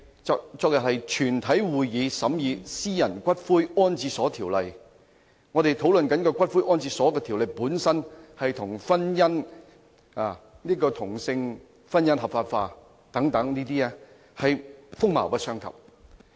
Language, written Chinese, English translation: Cantonese, 昨天是全體委員會審議《私營骨灰安置所條例草案》，我們討論的《條例草案》與同性婚姻合法化等議題，是風馬牛不相及。, Yesterday the committee of the whole Council continued to examine the Private Columbaria Bill the Bill . The Bill under discussion is totally unrelated to such issues as the legalization of same - sex marriage